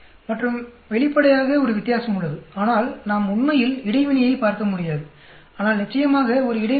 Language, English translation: Tamil, And obviously, there is a difference, but we cannot look at really interaction, but there is definitely there is an interaction